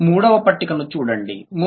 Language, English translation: Telugu, This is the third one